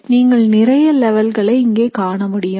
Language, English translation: Tamil, So you would see them as various levels here, alright